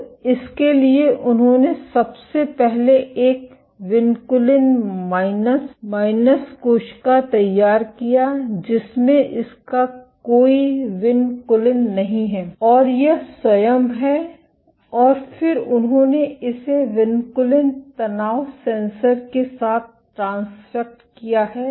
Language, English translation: Hindi, So, for that they first generated a vinculin minus minus cell which has does not have any vinculin of it is own and then they transfected it with this vinculin tension sensor is the construct